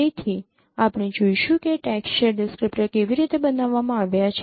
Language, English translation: Gujarati, So, we will see how the texture descriptors are no designed